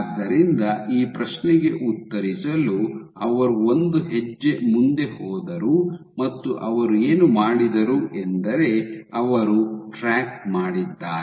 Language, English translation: Kannada, So, to answer this question what they did say they went one step further and what they did was they tracked